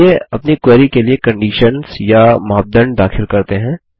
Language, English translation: Hindi, Let us introduce conditions or criteria for our query